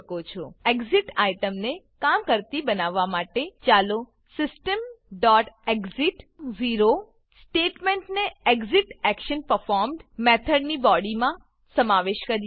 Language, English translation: Gujarati, To make the Exit menu item work, Let us include the statement System.exit into the ExitActionPerformed() method body